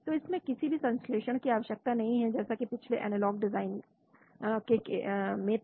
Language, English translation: Hindi, So it does not require any synthesis as of the previous analog design